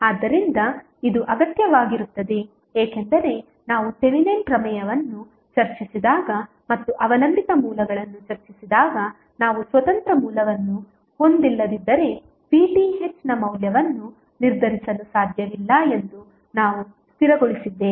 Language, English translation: Kannada, So, this is required because when we discussed the Thevenin theorem and we discussed dependent sources we stabilized that if you do not have independent source then you cannot determine the value of V Th